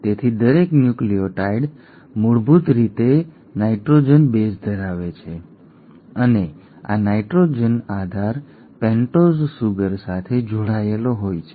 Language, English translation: Gujarati, So each nucleotide basically has a nitrogenous base and this nitrogenous base is attached to a pentose sugar